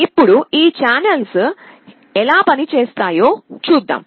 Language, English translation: Telugu, Now, let us see how this channels work